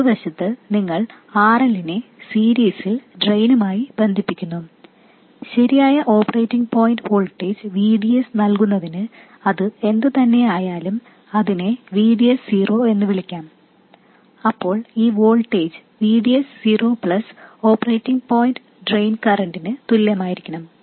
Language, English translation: Malayalam, On the other side you connect RL in series with the drain and to provide the correct operating point voltage VDS, whatever that is, let's call it VDS, then this voltage will have to be equal to VDS plus the operating point drain current